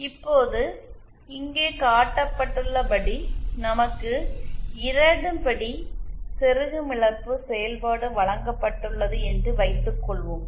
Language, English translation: Tamil, Now let us suppose that we are given a 2nd order insertion loss function as shown here